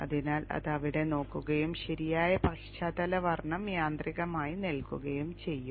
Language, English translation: Malayalam, So it will look in there and automatically put in the proper background color